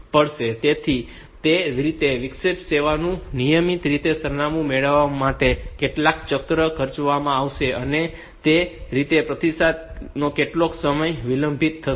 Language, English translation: Gujarati, So, that way some cycles will be spent in getting the interrupt service routine address, and that way the response will be delayed by that much time